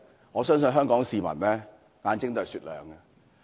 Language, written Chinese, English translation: Cantonese, 我相信香港市民的眼睛是雪亮的。, I believe the eyes of Hong Kong people are sharp